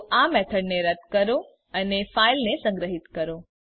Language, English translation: Gujarati, So remove this method and Save the file